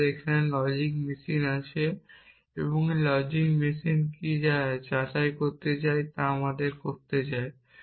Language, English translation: Bengali, We have a logic machinery is this logic machinery doing what we want us want it to do